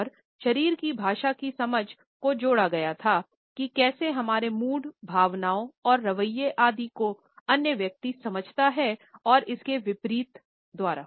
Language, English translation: Hindi, And the understanding of body language was linked as how our modes and attitudes, feelings etcetera, can be grasped by the other person and vice versa